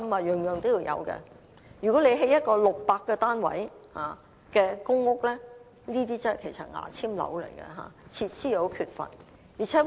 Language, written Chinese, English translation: Cantonese, 如果興建一個只有600個單位的"牙籤樓"公共屋邨，設施會很缺乏。, If the Government builds a toothpick PRH estate with only 600 units it will have very few facilities